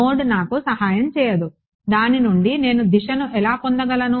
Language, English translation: Telugu, Node is not going to help me how do I get direction out of it